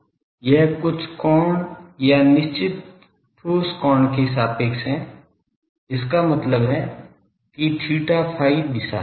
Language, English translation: Hindi, But it is with respect to certain angle or certain direction solid angle; that means theta phi direction